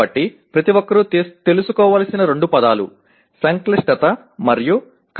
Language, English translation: Telugu, So the two words that one has to be familiar with, complexity and difficulty